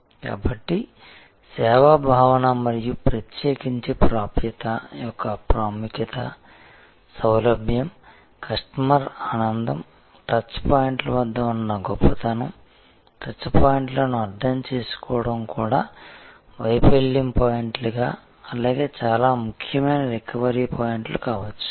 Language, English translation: Telugu, So, the service concept and particularly the importance of access, convenience, customer delight, the excellence at touch points, understanding the touch points can also be failure points as well as can be very important recovery points